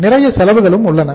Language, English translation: Tamil, Lot of costs are there